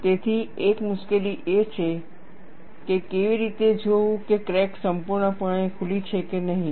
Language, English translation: Gujarati, So, one of the difficulties is, how to see whether the crack is fully opened or not